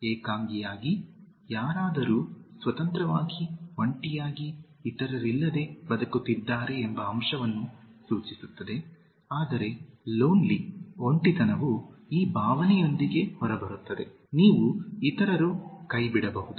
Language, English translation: Kannada, Alone, just indicates the fact that somebody is living independently, single, without others, whereas lonely, comes out with this feeling that, you are, may be, abandoned by others